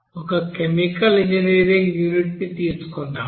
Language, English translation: Telugu, Let us have one chemical engineering unit here